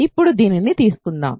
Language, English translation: Telugu, So, let us now take this